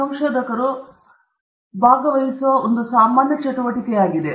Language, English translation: Kannada, And as researchers, this is one common activity that we participate in